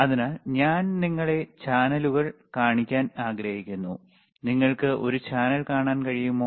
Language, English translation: Malayalam, So, I want to show you the channels here channels are there, can you can you see a show channel